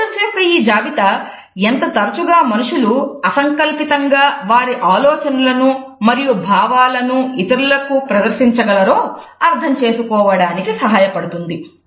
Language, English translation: Telugu, This list of adaptors, help us to understand the frequency with which human beings can use them to unconsciously display their ideas and emotions to other people